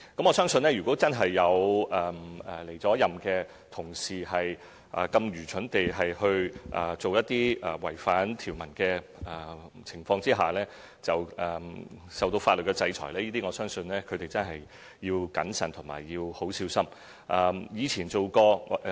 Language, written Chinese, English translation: Cantonese, 我相信，如果真有離任同事愚蠢地做一些違反條文的情況，而受到法律制裁，我相信他們真的要謹慎及小心。, In my opinion if any former colleagues are foolish enough to breach the provisions which lead to legal punishment they really have to think twice